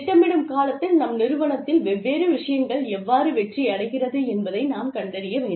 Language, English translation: Tamil, At the planning stage, we must find out, how we can measure, the success of the different things, that our organization, does